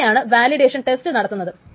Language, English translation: Malayalam, So, this validation test is done